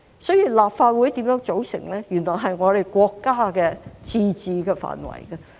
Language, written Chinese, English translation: Cantonese, 所以，立法會怎樣組成，原來是國家的自治範圍。, The composition of the Legislative Council is in fact a matter of national autonomy